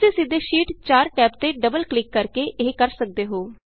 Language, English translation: Punjabi, You can simply do this by double clicking on the Sheet 4tab below